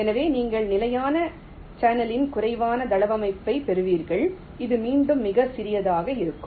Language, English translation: Tamil, so you will be getting a virtually a channel less layout of standard cell, which will be much more compact again